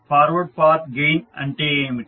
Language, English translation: Telugu, So, what is Forward Path Gain